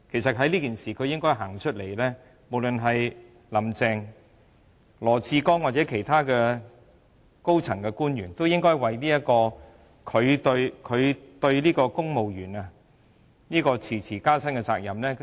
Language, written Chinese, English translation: Cantonese, 在這件事上，無論"林鄭"、羅智光局長或其他高層官員，也應該自行站出來，就公務員遲遲未能加薪負責和致歉。, Insofar as this matter is concerned Carrie LAM Secretary Joshua LAW or other officials in the senior echelons should come forward and be held accountable and apologize for the delay in giving civil servants a pay rise